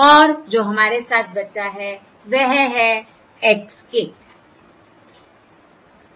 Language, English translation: Hindi, this is basically or x bar of k